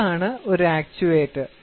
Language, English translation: Malayalam, What is an actuator